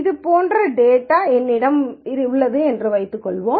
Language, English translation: Tamil, So, let us say I have data like this